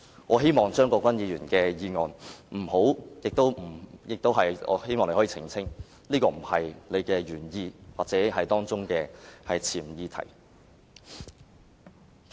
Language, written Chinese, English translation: Cantonese, 我希望張國鈞議員可以澄清，這不是他提出議案的原意或潛議題。, I hope that Mr CHEUNG Kwok - kwan will clarify that this is not the original intent or hidden agenda behind the motion he moved